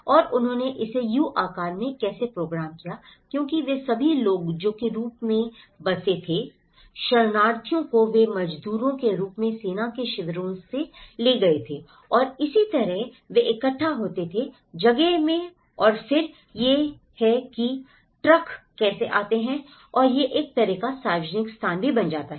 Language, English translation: Hindi, And how they programmed it in a U shape was because all these people who were settled as refugees they were taken as labourers to the army camps and that is how they used to gather in place and then that is how the trucks come and this becomes a kind of public place as well